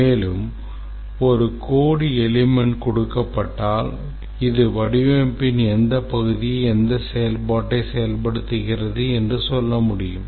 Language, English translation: Tamil, Also, in the other way, given a code element should be able to tell it implements which part of the design and also which functionality